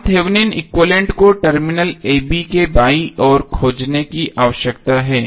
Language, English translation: Hindi, We need to find out Thevenin equivalent to the left of terminal a b